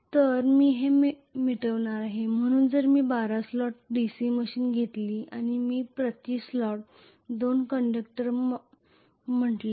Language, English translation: Marathi, So I am just going to erase this, so if I take a 12 slot DC machine and I am going to say 2 conductors per slot